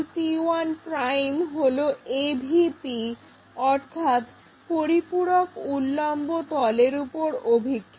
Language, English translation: Bengali, p 1' is projection on AVP, Auxiliary Vertical Plane